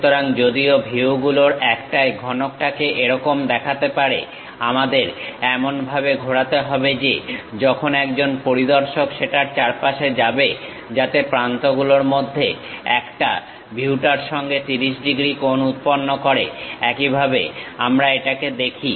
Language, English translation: Bengali, So, though the cube might looks like this in one of the view; we have to rotate in such a way that, as an observer moves around that, so that one of the edges it makes 30 degrees angle with the view, that is the way we have to visualize it